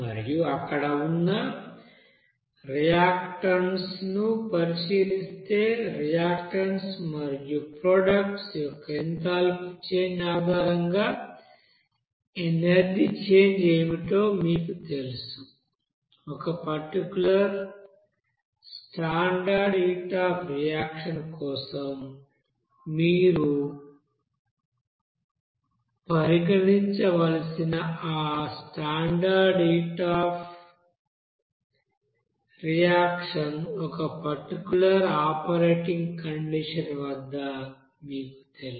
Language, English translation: Telugu, And considering that reactants there and based on that enthalpy change of that reactants and products, what should be the you know energy change along with that, you know a standard heat of reaction that you have to consider for that standard heat of reaction at a particular operating condition